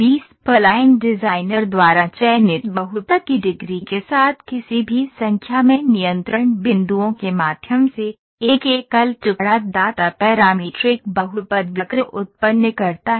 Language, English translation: Hindi, B spline generates a single piecewise parametric polynomial curve, through any number of control points with the degree of the polynomial selected by the designer